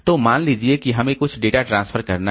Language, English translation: Hindi, So, suppose we have to do some data transfer